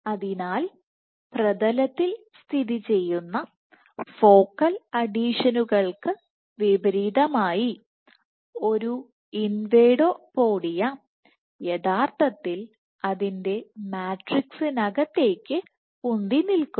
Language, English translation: Malayalam, So, in contrast to focal adhesions which are formed on the plane, an invadopodia actually protrudes into its matrix